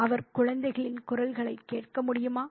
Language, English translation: Tamil, Could he hear the children's voices